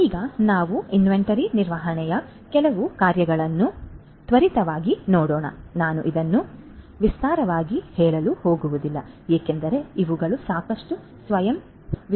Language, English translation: Kannada, So, now let us quickly go through some of the functions of inventory management I am not going to elaborate this because these are quite self explanatory